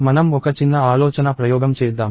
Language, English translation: Telugu, So, let us do a little thought experiment